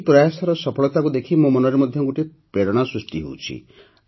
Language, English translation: Odia, Looking at the success of this effort, a suggestion is also coming to my mind